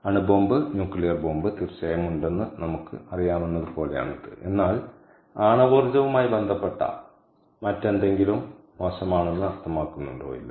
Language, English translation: Malayalam, atomic bomb, nuclear bomb, of course, there there, but does it mean that anything else, anything related to nuclear energy, is bad